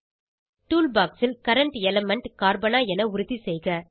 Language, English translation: Tamil, In the Tool box, ensure that Current element is Carbon